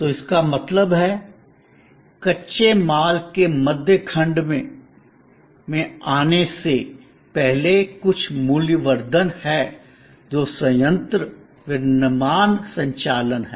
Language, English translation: Hindi, So, that means, there is some value addition before the raw material comes to the middle section, which is the plant, the manufacturing operation